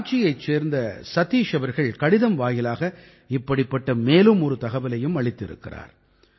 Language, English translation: Tamil, Satish ji of Ranchi has shared another similar information to me through a letter